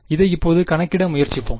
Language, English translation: Tamil, So, let us try to calculate this now